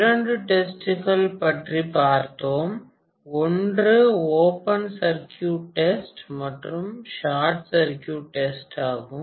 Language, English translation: Tamil, So these are the assumptions that we make during open circuit test and shortcut circuit test